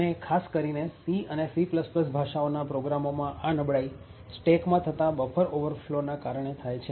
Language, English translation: Gujarati, Specially, in C and C++ programs that vulnerability was caused due to buffer overflows in the stack